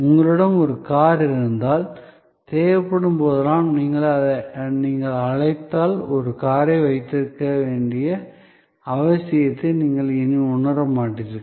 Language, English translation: Tamil, If you have a car, whenever needed, you make an call, you will perhaps do not no longer feel the need of possessing a car